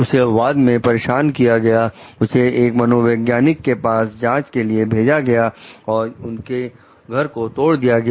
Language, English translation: Hindi, She was subsequently harassed, sent for psychiatric evaluation, and had her home broken to